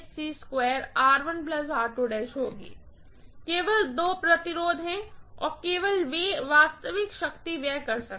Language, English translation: Hindi, Only two resistances are there and only they can dissipate real power